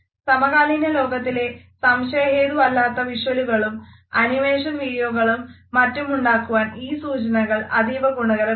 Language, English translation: Malayalam, And these cues have become an important basis for creating convincing visuals as well as creating animations in our contemporary world